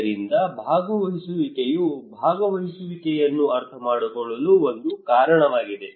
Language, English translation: Kannada, So participation the one reason that participation is understood